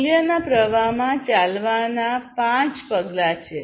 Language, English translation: Gujarati, So, there are five steps of walk in the value streams